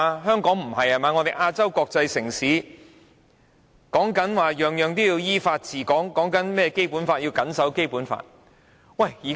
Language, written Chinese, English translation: Cantonese, 香港是亞洲國際城市，政府主張依法治港和謹守《基本法》。, Hong Kong is an international city in Asia with its Government advocating ruling Hong Kong in accordance with laws and abiding by the Basic Law